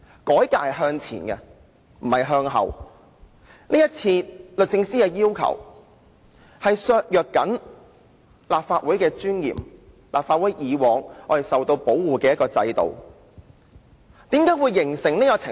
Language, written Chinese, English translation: Cantonese, 改革應是向前，而不是向後；今次律政司的要求正正削弱了立法會的尊嚴，以及過往一直保護着立法會議員的制度。, Reforms should be moving forward not backward . The request of DoJ will weaken the dignity of the Legislative Council and the system that has been safeguarding Members of the Legislative Council